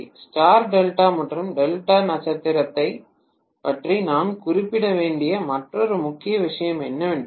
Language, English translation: Tamil, And one more major point we have to mention about Star delta and delta star is that